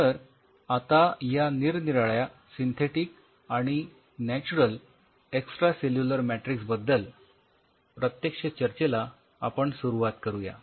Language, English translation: Marathi, Let us start our discussion with this different synthetic and natural extracellular matrix